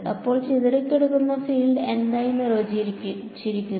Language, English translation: Malayalam, So, what is the scattered field defined as